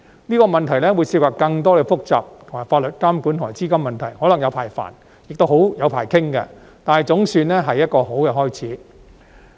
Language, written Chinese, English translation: Cantonese, 這個問題會涉及更多複雜的法律監管和資金問題，可能"有排煩"並"有排傾"，但總算是一個好開始。, This will involve even more complex issues concerning the regulatory regimes and capital which might entail prolonged troubles and discussions . But this is a good start after all